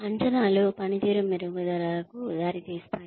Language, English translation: Telugu, Appraisals can leads to improvement in performance